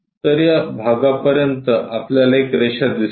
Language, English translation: Marathi, So, up to that part, we will see a line